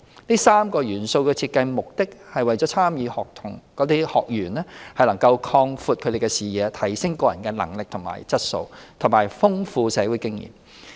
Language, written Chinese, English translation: Cantonese, 這3個元素的設計目的是為參與學員擴闊視野、提升個人能力和質素，以及豐富社會經驗。, These components are designed to broaden participants horizons enhance their abilities and personal qualities and enrich their social experience